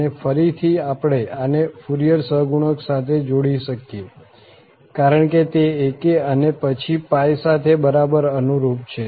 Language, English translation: Gujarati, And again, we can relate this to the Fourier coefficient because that is exactly corresponding to ak and then pi